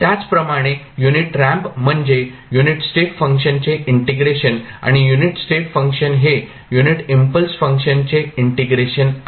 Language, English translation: Marathi, Similarly, unit ramp is integration of unit step function and unit step function is integration of unit impulse function